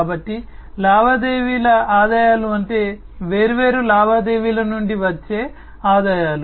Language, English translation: Telugu, So, transaction revenues means, the revenues that are generated from the different transactions that are performed